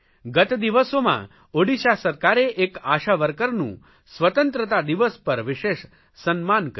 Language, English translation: Gujarati, In the past, the Orissa government especially facilitated an ASHA worker on Independence Day